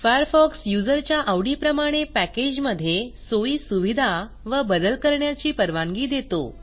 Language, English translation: Marathi, Mozilla Firefox offers customisation to suit the tastes or preferences of the user